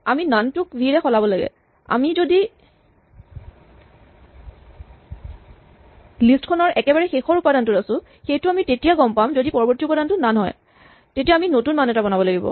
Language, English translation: Assamese, We need to just replace the none by v, if we are at the last element of the list and we know that we are at the last element of the list because the next value is none then what we need to do is create a new value